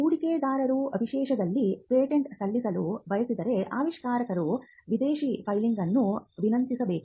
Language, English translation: Kannada, Now, if the inventor wants to file the patent in a foreign country then, the inventor has to request for a foreign filing